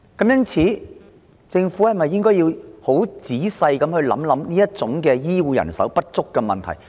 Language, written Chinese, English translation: Cantonese, 因此，政府是否應仔細考慮有何方法填補醫護人手的不足？, Hence should the Government not carefully consider ways to make up for the shortage of health care workers?